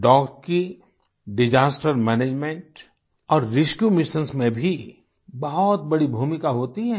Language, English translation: Hindi, Dogs also have a significant role in Disaster Management and Rescue Missions